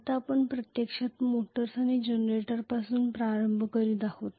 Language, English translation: Marathi, Now we are going to start actually on motors and generators